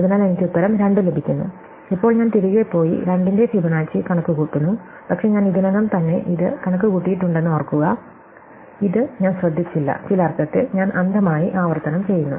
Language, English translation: Malayalam, So, I get the answer 2, now I go back and I compute Fibonacci of 2, but remember I have already computed it, but because I did not make note of this in some sense, I’m blindly doing recursion